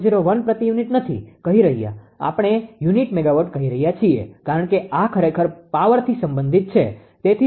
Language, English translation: Gujarati, 01 per unit we are ah telling per unit megawatt because this is actually related to power; that is why making it 0